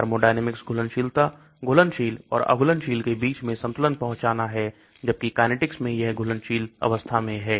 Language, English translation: Hindi, Thermodynamic solubility is the reaching of equilibrium between the dissolved and the undissolved; whereas in kinetic it is in dissolved form